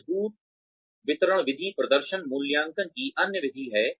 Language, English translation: Hindi, Forced distribution method is the other method of performance appraisals